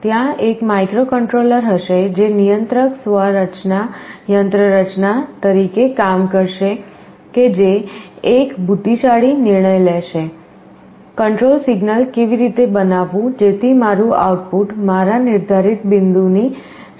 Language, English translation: Gujarati, There is a microcontroller will be acting as the controller mechanism that will take an intelligent decision, how to generate the control signal so that my output is as close as possible to my set point